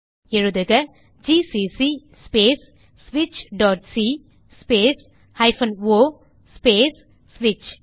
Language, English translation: Tamil, Type:gcc space switch.c space o space switch